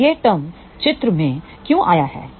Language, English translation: Hindi, Now, why this term comes into picture